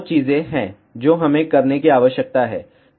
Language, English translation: Hindi, There are 2 things which we need to do